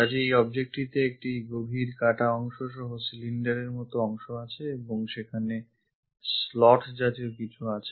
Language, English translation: Bengali, So, this object have this cylindrical portion having a deep cut and there is something like a slot